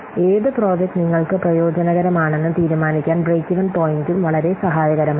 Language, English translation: Malayalam, So, a break even point is also very helpful to decide that which project will be beneficial for us